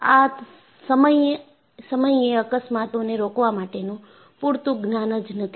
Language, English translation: Gujarati, The knowledge at that time was not sufficient to prevent these accidents